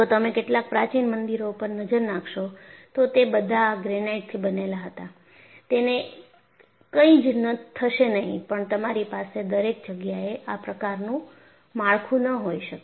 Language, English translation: Gujarati, See, if you look at some of the ancient temples, they wereall made of granite structures; nothing will happen to it; you cannot have that kind of structure everywhere